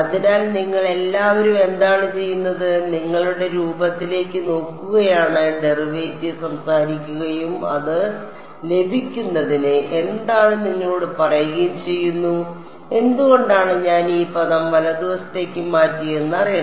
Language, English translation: Malayalam, So, all of you what you are doing is you are looking at the form of U x you are talking the derivative and telling you what it is for getting that why did I move this term to the right hand side it should be known